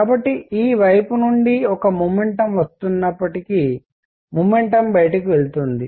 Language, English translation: Telugu, So, even if there is a momentum coming from this side; there will be momentum going out